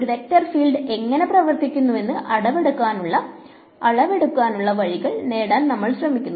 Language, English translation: Malayalam, We are trying to get ways of quantifying measuring what a vector field looks like what it does